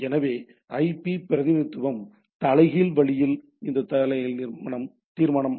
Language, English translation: Tamil, So, the IP representation in a inverse way this inverse resolution right